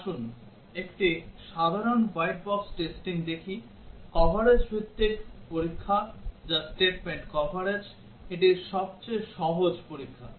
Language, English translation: Bengali, Let us look at a simple white box testing, coverage based testing which is the statement coverage; this is simplest testing